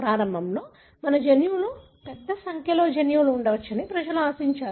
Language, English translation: Telugu, In the beginning people have been expecting there could be a large number of genes that our genome could have